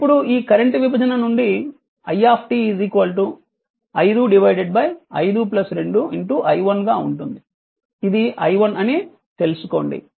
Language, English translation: Telugu, Now, this current division I t will be 5 by 5 plus 2 into i1 right now, this i1 you know this i1 you know